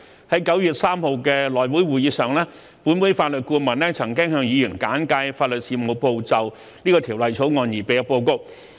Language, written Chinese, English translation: Cantonese, 在9月3日的內會會議上，本會法律顧問曾向議員簡介法律事務部就《條例草案》擬備的報告。, At the HC meeting on 3 September the Legal Adviser of the Council briefed Members on the report prepared by the Legal Service Division on the Bill